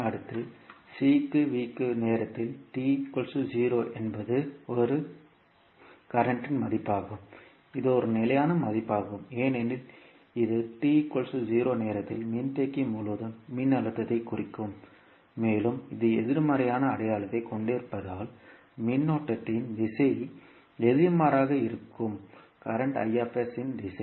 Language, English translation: Tamil, Next is C into V at time T is equal to 0 this again a current term which is a constant value because this will represent the voltage across capacitor at time T is equals to 0 and since, this having a negative sign the direction of current would be opposite of the direction of the current the Is